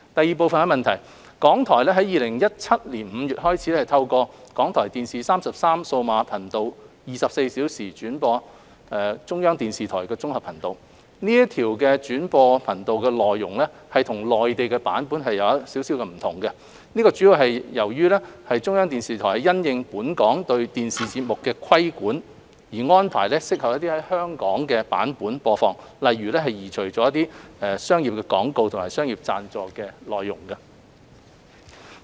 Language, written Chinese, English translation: Cantonese, 二港台於2017年5月開始透過港台電視33數碼頻道24小時轉播中國中央電視台綜合頻道，這條轉播頻道的內容與內地版本有所不同，主要由於中央電視台是因應本港對電視節目的規管而安排適合在香港的版本播放，例如移除了商業廣告和商業贊助的內容。, 2 Since May 2017 RTHK has relayed CCTV - 1 on the digital channel RTHK TV 33 on a 24 - hour basis . The contents relayed on this channel are different from the Mainland version as CCTV has arranged for a version suitable for broadcast in Hong Kong having regard to local regulation of TV programmes such as removing commercial advertisements and contents involving commercial sponsorships